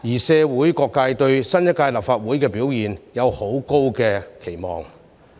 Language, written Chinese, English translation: Cantonese, 社會各界對新一屆立法會的表現有很高的期望。, Various sectors of society have high expectations for the performance of the new Legislative Council